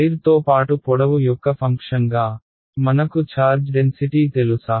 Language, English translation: Telugu, As a function of the length along the wire do I know the charge density